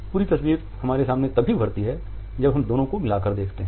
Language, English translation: Hindi, The complete picture emerges before us only when we combine the two